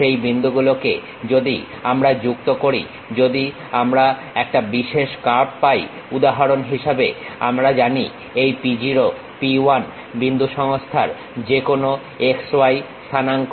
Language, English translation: Bengali, Those points, if we are joining if we are getting a specialized curve for example, the point p0, p 1 we know these are any x y coordinates of that system